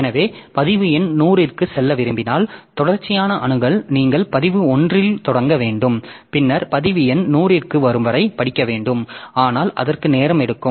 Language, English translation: Tamil, So, sequential access if you want to go to record number 100 you have to start at record 1 then you have to go on reading till you come to record number 100 but that takes time